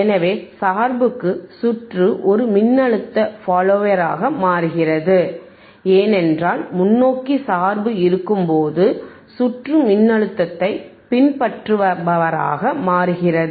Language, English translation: Tamil, So, for bias, circuit becomes a voltage follower, because when forward bias is thatere, it will be like so circuit becomes by voltage follower,